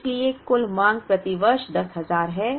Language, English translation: Hindi, So, that the total demand is 10,000 per year